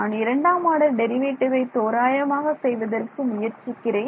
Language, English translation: Tamil, I am trying to approximate the time derivative second time derivative